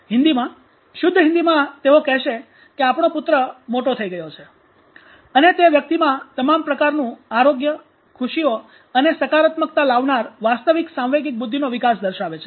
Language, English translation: Gujarati, You know in hindi typical hindi our son has grown up and that shows the real emotional intelligence development within a person bringing all sort of health, happiness and prospective